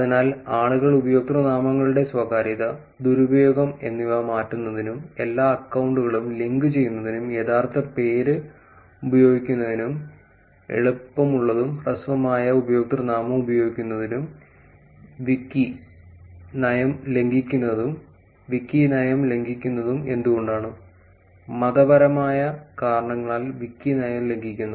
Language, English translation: Malayalam, So, is simply people are actually given the reasons for why people change the usernames privacy, privacy and abuse, link all accounts, use real name, use easier, shorter username and reading the text in the column one violates wiki policy, violates wiki policy, violates wiki policy for religious reasons